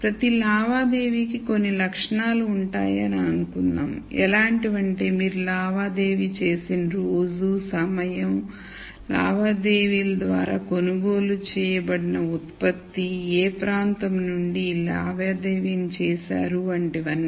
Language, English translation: Telugu, So, let us say there are certain characteristics of every transaction that you record such as the amount the time of the day the transaction is made the place from which the transaction is made the type of product that is bought through the transaction and so on